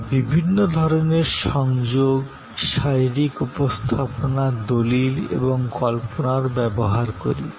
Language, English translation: Bengali, We use different sort of association, physical representation, documentation and visualization